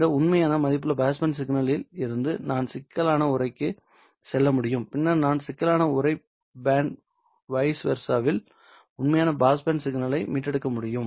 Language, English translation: Tamil, From this real value passband signal I can go to the complex envelope, I can go to the complex envelope and then I can recover real passband signal from the complex envelope and vice versa